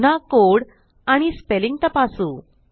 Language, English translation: Marathi, Again lets check the code